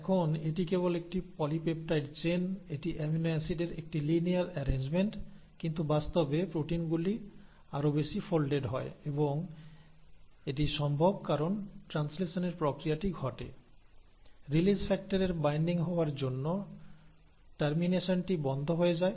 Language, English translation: Bengali, Now this is just a polypeptide chain, it is just a linear arrangement of amino acids but in reality the proteins are much more folded and that is possible because after this process of translation has happened, the termination will stop because of the binding of release factor